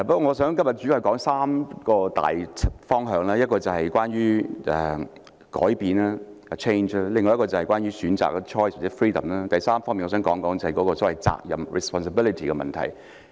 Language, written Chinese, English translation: Cantonese, 我今天主要想談論3個大方向，一個是關於改變，第二個是關於選擇，第三，我想談談責任的問題。, I wish to mainly talk about three major directions today the first being change the second being choice or freedom and the third being the issue of responsibility